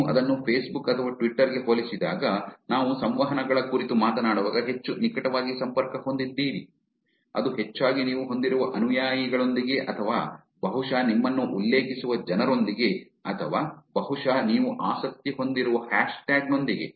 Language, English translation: Kannada, When you compare it to the facebook or twitter that we talk about the interactions are much closely connected, it's mostly with the followers that you have or probably people who mention you or probably the hashtag that you interested in